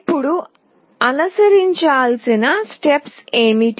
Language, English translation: Telugu, Now, what are the steps to be followed